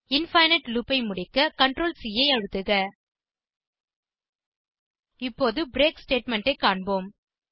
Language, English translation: Tamil, Press Ctrl + C to terminate the infinite loop Now, let us look at the break statement